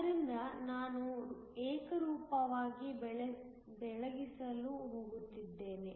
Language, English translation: Kannada, So, I am going to Illuminate uniformly